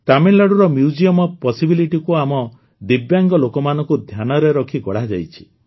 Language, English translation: Odia, Tamil Nadu's Museum of Possibilities has been designed keeping in mind our Divyang people